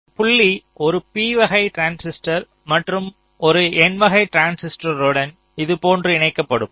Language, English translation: Tamil, lets say so this point will be connected to one p type transistor and it will also be connected to one n type transistor like this